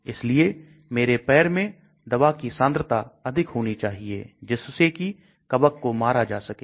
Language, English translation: Hindi, So the concentration of the drug at my foot should be higher so that the fungus gets killed